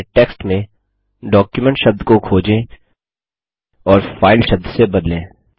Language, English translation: Hindi, Now Find and Replace the word document in your text with the word file